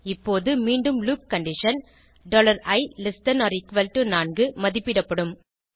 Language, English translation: Tamil, Now again, the loop condition $i=4 will be evaluated